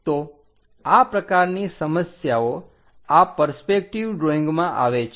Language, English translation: Gujarati, So, this kind of problems exist for this perspective drawing